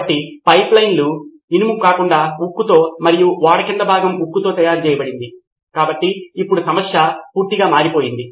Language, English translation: Telugu, So then steel rather, so the pipelines were made of steel, the underneath, the hull of the ship was made of steel, so now the problem had shifted completely